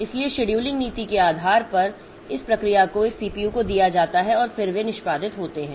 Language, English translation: Hindi, So, depending upon the scheduling policy, so these processes are given to these CPUs and then they are executing